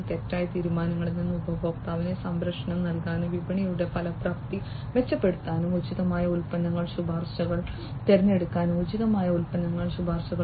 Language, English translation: Malayalam, For the customer to protect from wrongful decisions, improve market effectiveness, and picking appropriate product recommendations, making appropriate product recommendations